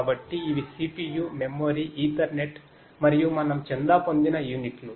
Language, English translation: Telugu, So, these are the units of CPU, memory, Ethernet, and so on to which we are subscribed